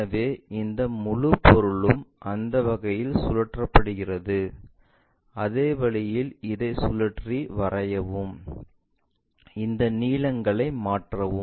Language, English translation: Tamil, So, this entire object is rotated in such a way that the same thing rotate it, draw it, and transfer this lens